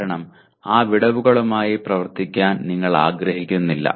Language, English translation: Malayalam, Because you do not want to work with those gaps